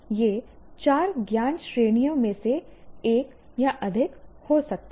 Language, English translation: Hindi, It can be one or more of the four knowledge categories